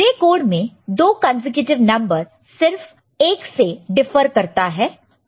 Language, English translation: Hindi, So, in gray code two consecutive numbers are do differ by only 1